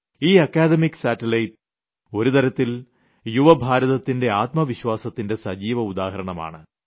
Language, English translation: Malayalam, In a way, this academic satellite is a living example of the soaring flight of courage and ambition of the young India